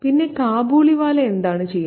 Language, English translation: Malayalam, And the Kabliwala, what does he do